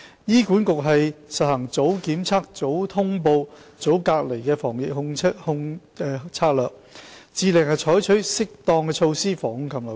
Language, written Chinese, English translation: Cantonese, 醫管局實行"早檢測、早通報、早隔離"的防控策略，致力採取適當措施防控禽流感。, HA strives to adopt appropriate measures to prevent and control avian influenza by implementing the strategy of early testing early notification and early isolation